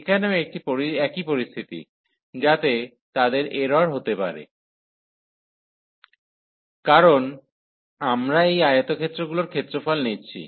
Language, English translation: Bengali, Here also the same situation, so they could be in error, because we are taking the area of these rectangles